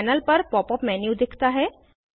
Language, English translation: Hindi, Pop up menu appears on the panel